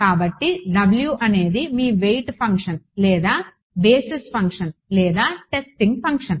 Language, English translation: Telugu, So, W for; so, this is your weight function or basis function or testing function